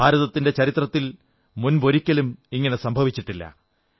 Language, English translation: Malayalam, This is unprecedented in India's history